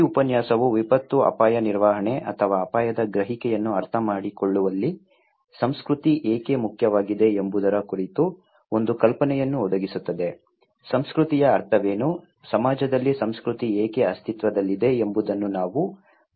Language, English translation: Kannada, This lecture would provide an idea, the kind of perspective about why culture is so important in disaster risk management or understanding risk perception also, we will look into what is the meaning of culture, why culture exists in society